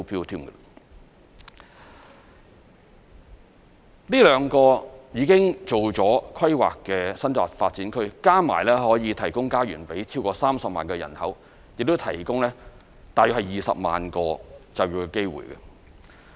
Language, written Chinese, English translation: Cantonese, 這兩個已進行規劃的新界發展區，加起來合共可以提供家園予超過30萬人口，亦提供大約20萬個就業機會。, The two development areas in the New Territories which have gone through the planning stage may provide homes for a population of 300 000 and create about 200 000 jobs